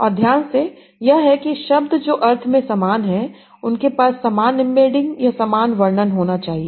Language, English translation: Hindi, And the focus is that the words that are similar in meaning they should have similar embeddings or similar representation